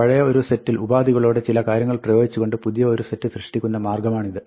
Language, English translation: Malayalam, This is the way of building a new set by applying some conditional things to an old set